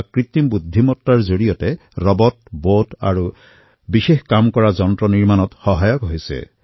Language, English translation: Assamese, Artificial Intelligence aids in making robots, Bots and other machines meant for specific tasks